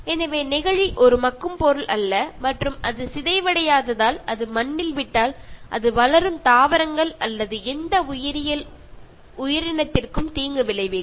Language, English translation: Tamil, So, plastic is a non biodegradable material and since it does not decompose, leaving it on soil it can harm growing plants or any biological organism